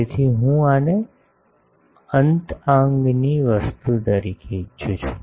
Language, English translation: Gujarati, So, I want this as an end fire thing